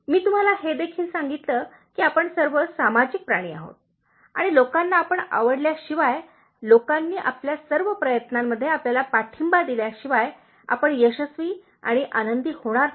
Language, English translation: Marathi, I also mentioned to you, that we are all social animals and without having people to like us, without people to support us in all our endeavors, we will not feel successful and happy